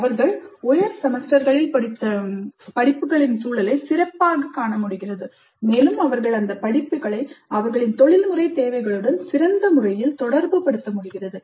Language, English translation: Tamil, They're able to better see the context of the course studied higher semesters and they are able to relate those courses to their professional requirements in a better fashion